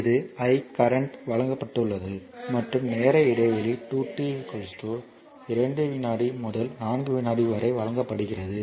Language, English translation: Tamil, This i is given right and time span is given 2 t is equal to 2 second to 4 second